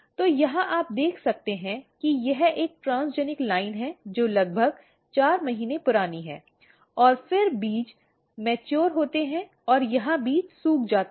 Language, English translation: Hindi, So, here you can see this is a transgenic line which is about 4 months old and then the seeds mature and here the seeds dry